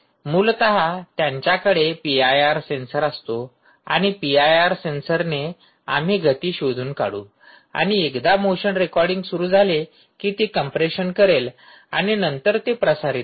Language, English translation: Marathi, essentially they will have a p i r sensor and the p i r sensor we will detect ah, ah, motion and once the motion starts the recording, we will start it will, it will do the compression and then it will do a transmission on the network